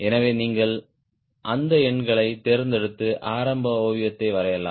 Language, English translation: Tamil, so you can pick those numbers and draw the initial sketch right